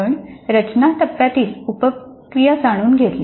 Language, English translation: Marathi, We identified the sub processes of design phase